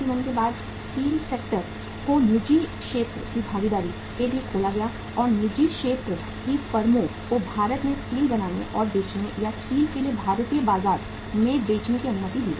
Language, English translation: Hindi, After 1991 when the steel sector was opened for the private sector participation and private sector firms were allowed to manufacture and sell steel in India or serve the Indian market with steel